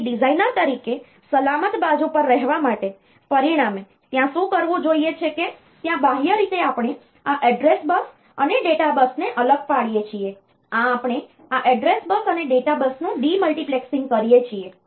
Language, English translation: Gujarati, So, as a result to be on the safe side as a designer; so what is required to do is externally we differentiate this address bus and data bus, this this we do demultiplexing of this address bus and data bus